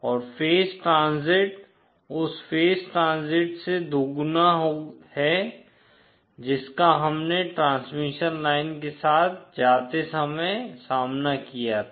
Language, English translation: Hindi, And the phase transit is twice the phase transit of as of that what we encountered while going along the transmission line